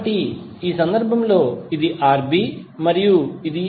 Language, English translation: Telugu, So in this case it is Rb and Rc